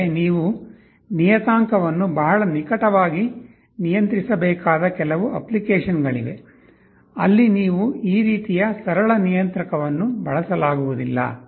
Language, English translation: Kannada, But, there are some applications where you need to control the parameter very closely, there you cannot use this kind of a simple controller